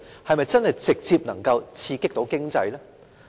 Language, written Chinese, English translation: Cantonese, 是否能夠直接刺激經濟呢？, Can it stimulate the economy direct?